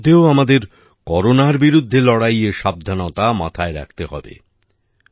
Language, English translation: Bengali, In the midst of all this, we also have to take precautions against Corona